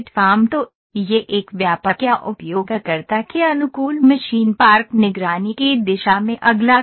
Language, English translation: Hindi, So, this is the next step towards a comprehensive or user friendly machine park surveillance